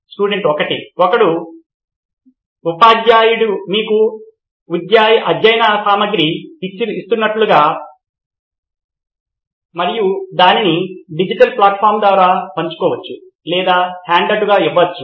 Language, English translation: Telugu, As in if a teacher is giving you a study material and it can either be shared via digital platform or given as a handout